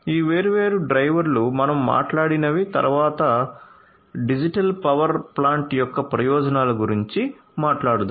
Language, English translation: Telugu, So, these are these different drivers that we talked about and then let us talk about the benefits of the digital power plant